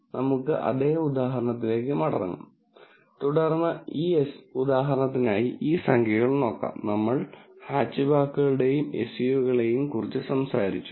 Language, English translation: Malayalam, So, let us go back to the same example, that we had and then look at, these numbers for, for this example, this example; we talked about hatchback and SUV